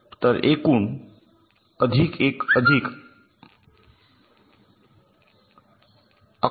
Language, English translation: Marathi, so total five plus one plus five, eleven